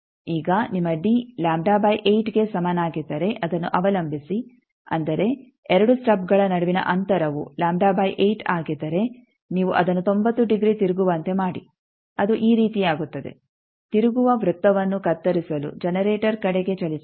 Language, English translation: Kannada, Now, depending on if your d is equal to lambda by 8, that means, distance between 2 stubs lambda by 8, you make it 90 degree rotation that will be something like this move towards generator to cut the rotated circle